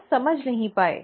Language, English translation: Hindi, People just did not understand